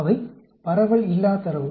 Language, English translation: Tamil, They are distribution free data